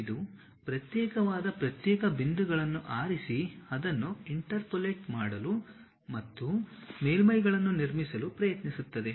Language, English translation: Kannada, It picks isolated discrete points try to interpolate it and construct surfaces